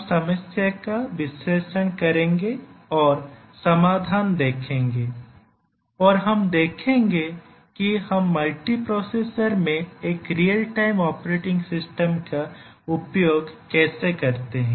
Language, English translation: Hindi, We will analyse the problem and see what the solutions are and then we will look at how do we use a real time operating system in a multiprocessor